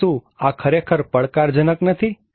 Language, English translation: Gujarati, So, is it not really challenging